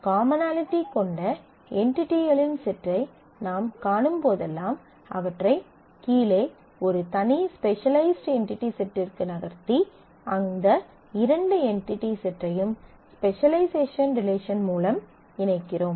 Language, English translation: Tamil, So, that whenever we find a group of entities which have certain commonality; we move them into a lower separate, specialized entity set and relate these two entity sets to the specialization relation